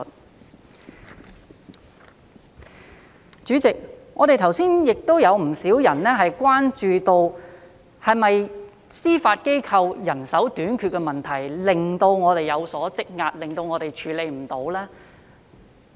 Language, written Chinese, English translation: Cantonese, 代理主席，剛才亦有不少議員關注到，是否司法機構的人手短缺導致案件積壓，處理不來呢？, Deputy President just now a number of Members have expressed concern about whether or not the building up of backlogs was caused by manpower shortage of the Judiciary and its inability to deal with the backlogs?